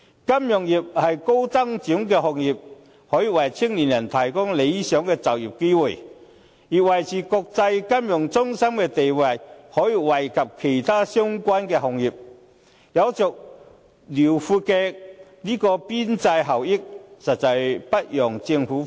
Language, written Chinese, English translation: Cantonese, 金融業是高增值的行業，可以為青年人提供理想的就業機會，而維持國際金融中心地位也可以惠及其他相關的行業，有着遼闊的邊際效益，實在不容政府忽視。, The financial industry being a high value - added industry can provide good employment opportunities to young people . If Hong Kong can maintain the status as an international financial centre other related industries can also be benefited . It thus has extensive marginal benefits which the Government should really not overlook